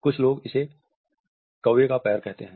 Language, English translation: Hindi, Some people actually call these crows feet